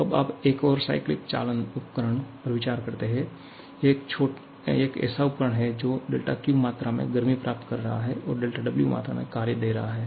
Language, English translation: Hindi, Now, you consider another cycling device, it is a device which is receiving del Q amount of heat and giving del W amount of work